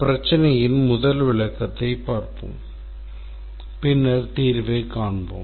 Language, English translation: Tamil, So, let me first describe the problem and then we'll see how to do the solution